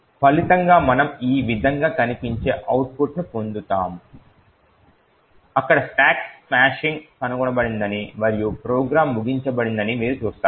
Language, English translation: Telugu, As a result, we will get an output which looks like this, you see that there is a stack smashing detected and the program is terminated